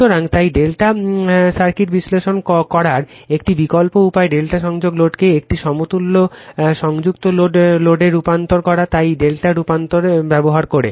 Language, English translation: Bengali, So, so an alternative way of analyzing star delta circuit is to transform the delta connected load to an equivalent star connected load, using that delta transformation